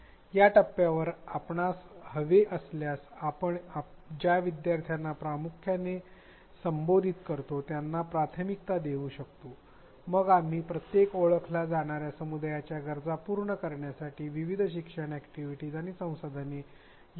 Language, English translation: Marathi, If you want at this point we can prioritize the learners who we will primarily address, then we include a variety of learning activities and resources addressing the needs of each identified cohort